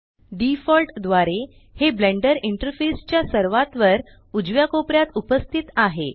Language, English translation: Marathi, By default it is present at the top right corner of the Blender Interface